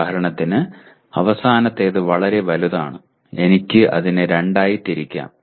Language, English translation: Malayalam, For example the last one is fairly large, I can break it into two